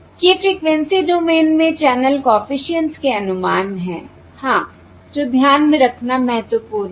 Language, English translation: Hindi, these are the estimates of the channel coefficients in the frequency domain, and that is something that is important to keep in mind